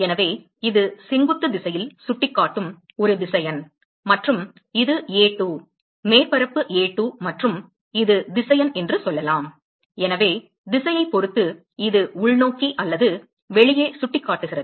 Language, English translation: Tamil, So, it is a vector which is pointing in the normal direction and let us say this is A2, surface A2 and this is the vector so depending on the direction you can say it is pointing inwards or outside